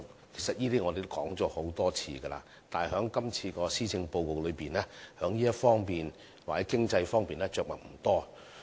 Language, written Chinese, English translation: Cantonese, 其實這些我們已多次提及，但在今次的施政報告中，在這方面着墨不多。, In fact these have been mentioned by us many times but not much is said in this Policy Address in this regard